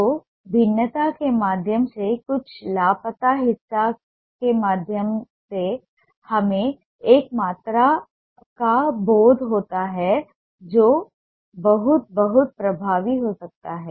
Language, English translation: Hindi, so through the variation, through some missing parts, we get a sense of a volume which can be very, very effective